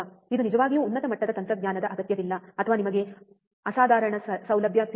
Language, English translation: Kannada, It does not really require high end technology or you know extraordinary facility